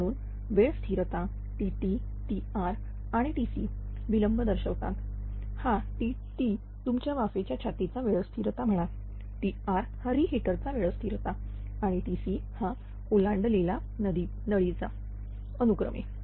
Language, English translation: Marathi, So, the time constant T t, T r and T c represent delays, this T t you call steam chest time constant, T r or what you call your T r that is your your what you call that reheat time constant and the T c crossover piping respectively